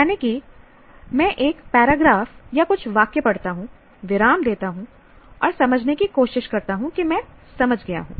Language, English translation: Hindi, That is, I read a paragraph for a few sentences, pause and try to assimilate, have I understood